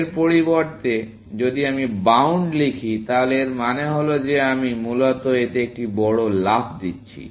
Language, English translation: Bengali, So, instead of this, if I write bound, it means that I am making a bigger jump in this, essentially